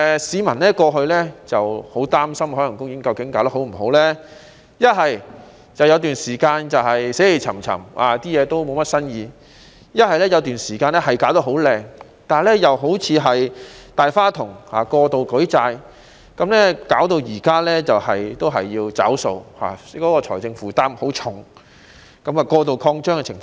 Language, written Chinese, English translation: Cantonese, 市民過去很擔心究竟海洋公園營運得好不好，要不就是有段時間死氣沉沉，設施了無新意；要不就是有段時間弄得很華麗，但又變得好像"大花筒"般，過度舉債，以致現在仍然要"找數"，財政負擔甚重，出現過度擴張的情況。, In the past members of the public were worried whether Ocean Park had run properly . It either remained in stagnation with no innovative facilities or made itself look glamorous and yet became a spendthrift raising excessive loans . Consequently now it still has to foot the bill bearing a heavy financial burden with over - expansion